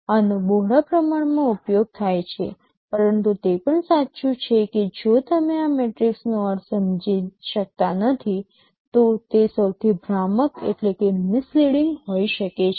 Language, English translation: Gujarati, These are quite widely used, but it is also true that if you do not understand the meaning of these metrics they can be the most misleading